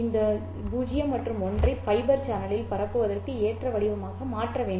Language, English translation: Tamil, I have to convert these zeros and ones into an appropriate form that is suitable for transmission over the fiber channel